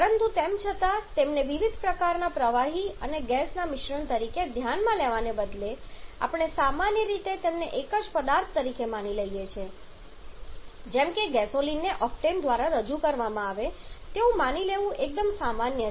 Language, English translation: Gujarati, But still instead of considering them as a mixture different kinds of liquids and gases we generally come assume them as a single substance like it is quite common to assume gasoline to be represented by octane